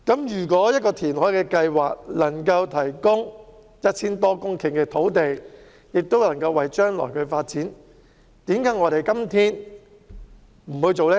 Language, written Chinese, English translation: Cantonese, 如果一項填海計劃能夠提供 1,000 多公頃土地，有助將來發展，為甚麼我們今天不去做呢？, If a reclamation project can provide more than 1 000 hectares of land for future development why should we not proceed today?